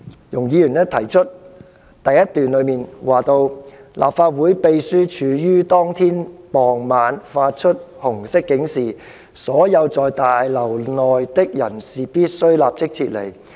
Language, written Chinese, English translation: Cantonese, 容議員在第一點指出，"立法會秘書處於當天傍晚發出紅色警示，所有在大樓內的人士必須立即撤離。, Ms YUNG argues in point 1 that [t]he LegCo Secretariat issued a Red alert in the evening of the same day and all people in the LegCo Complex were required to leave immediately